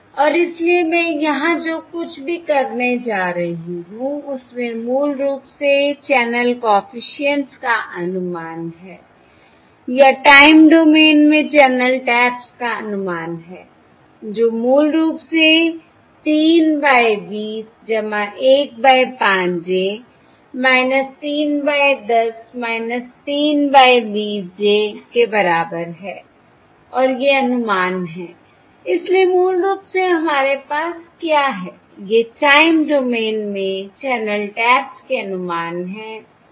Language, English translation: Hindi, okay, And therefore what I am going to have here, basically what I have over here, is the estimates of the channel coefficients, um or estimates of the channel taps in the time domain, which is basically 3 over 20 plus 1 over 5 j minus 3 over, 10 minus 3 over 20 j, and these are the estimates of